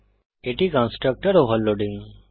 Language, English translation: Bengali, This is constructor overloading